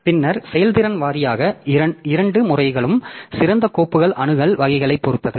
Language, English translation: Tamil, Then performance wise so both methods, the best methods depends on the file access type